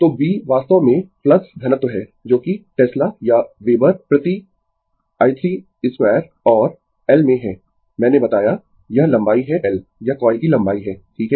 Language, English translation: Hindi, So, B actually flux density that is in Tesla or Weber per metre square and l, I told you this is the length of the your l is the your, this is the length of the coil, right